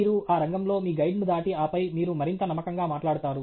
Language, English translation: Telugu, You just get past your guide in that field and then you talk more confidently